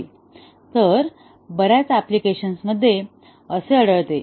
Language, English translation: Marathi, Yes, in many applications they do occur